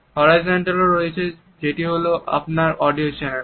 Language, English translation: Bengali, There is also horizontal which is your audio channel